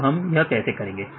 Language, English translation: Hindi, So, how to do this